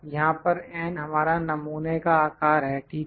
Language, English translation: Hindi, Here, n is our sample size, ok